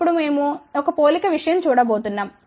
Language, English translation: Telugu, Now, we are going to look at a one comparison thing